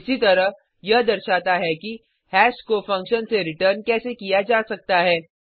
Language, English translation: Hindi, Similarly, this demonstrates how hash can be returned from a function